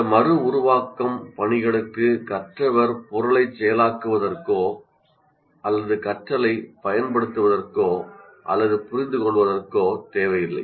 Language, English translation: Tamil, For example, these reproduction tasks do not require the learner to process the material or to apply the learning or even to understand it